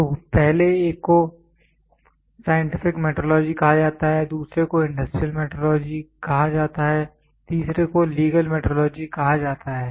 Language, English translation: Hindi, So, the first one is called as scientific metrology, the second one is called as industrial metrology, the third one is called as legal metrology